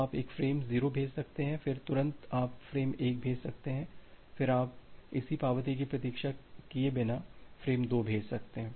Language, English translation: Hindi, So, you can send a frame 0, then immediately you can send frame 1, then you can send frame 2 without waiting for the corresponding acknowledgement